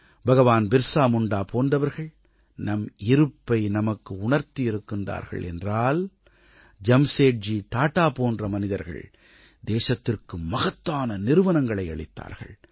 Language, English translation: Tamil, If the valourousBhagwanBirsaMunda made us aware of our existence & identity, farsightedJamsetji Tata created great institutions for the country